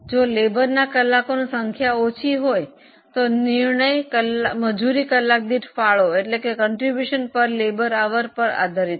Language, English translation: Gujarati, If number of labour hours are in short supply, the decision making will be based on contribution per labour hour